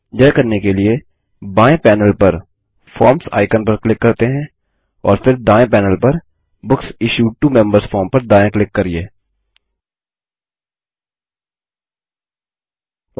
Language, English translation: Hindi, To do this, let us click on the Forms icon on the left panel and then right click on the Books Issued to Members form on the right panel, and then click on Edit